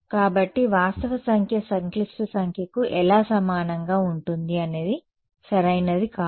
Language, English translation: Telugu, So, how can a real number be equal to complex number cannot be right